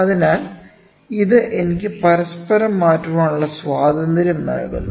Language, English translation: Malayalam, So, this gives me the freedom of interchangeability